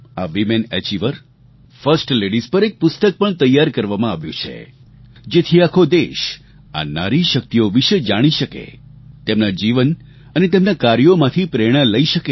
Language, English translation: Gujarati, A book has beencompiled on these women achievers, first ladies, so that, the entire country comes to know about the power of these women and derive inspiration from their life work